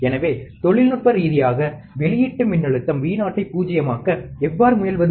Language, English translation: Tamil, So, how do we technically try to null the output voltage Vo